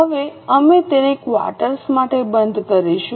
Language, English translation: Gujarati, Now we have closed it for the quarter